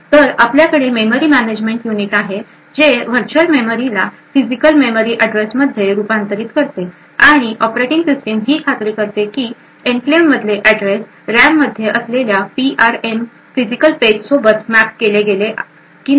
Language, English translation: Marathi, So, we have the memory management unit which converts the virtual memory to the physical memory address and the operating system would ensure that addresses form this enclave gets mapped to physical pages within the PRM present in the RAM